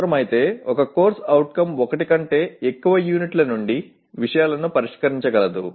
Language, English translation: Telugu, A CO if necessary can address topics from more than one unit